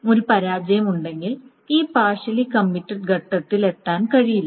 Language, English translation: Malayalam, Now if there is a failure, then this partial commit stage is not reached at all